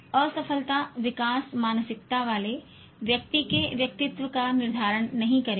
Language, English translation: Hindi, Failure will not determine the personality of a person with growth mindset